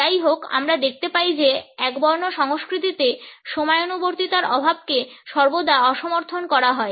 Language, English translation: Bengali, However we find that in monochronic culture’s lack of punctuality is always frowned upon